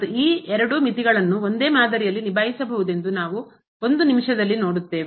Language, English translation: Kannada, And we will see in a minute there these both limit can be handle in a similar fashion